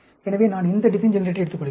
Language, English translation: Tamil, Let us look at those design generators